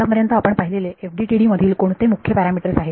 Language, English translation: Marathi, So, what are the main parameters that we have seen so far in the FDTD